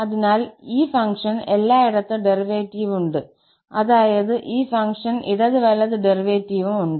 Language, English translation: Malayalam, So, this function has derivative everywhere, that means the left hand and the right hand derivative exists for this function